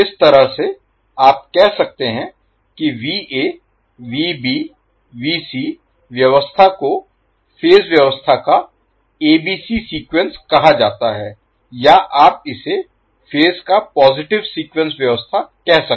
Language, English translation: Hindi, So, in that way you can say that the particular Va Vb Vc arrangement is called as ABC sequence of the phase arrangement or you can call it as a positive sequence arrangement of the phases